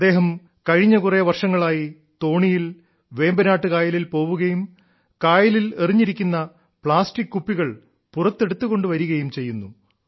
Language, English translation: Malayalam, For the past several years he has been going by boat in Vembanad lake and taking out the plastic bottles thrown into the lake